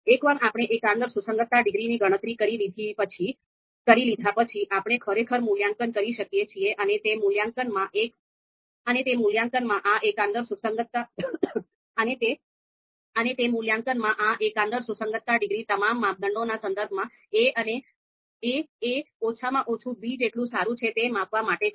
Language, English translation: Gujarati, So once we compute the global concordance degree, then we can actually make the you know our assessment you know and this global concordance degree in that assessment is going to measure how concordant the assertion a is at least as good as b is with respect to all the criteria